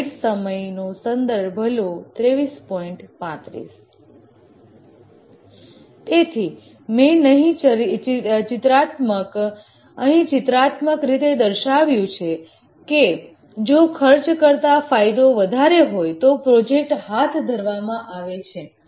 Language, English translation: Gujarati, So this is what I have just pictorially written here that the benefits are more than the costs than the project is undertaken